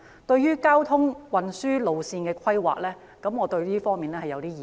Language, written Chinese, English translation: Cantonese, 對於交通運輸路線的規劃，我有一些意見。, I have some opinions on the planning of transportation routes